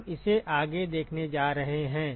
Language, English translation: Hindi, We are going to see that next